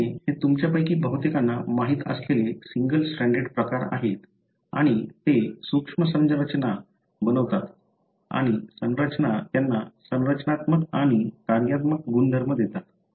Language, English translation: Marathi, The RNA, these are single stranded forms as most of you know and they do form subtle structures and the structures gives them the structural and the functional property